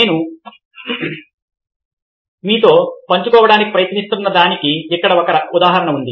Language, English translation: Telugu, here is an example of what i wants trying to share with you